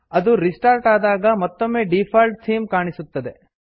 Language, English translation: Kannada, When it restarts, the default theme is once again visible